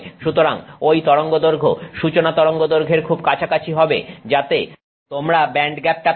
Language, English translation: Bengali, So, that wavelength is going to be very close to that threshold wavelength at which you have the band gap